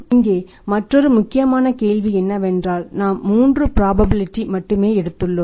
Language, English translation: Tamil, Another important question here is we have assigned only three probabilities because we have taken the three cases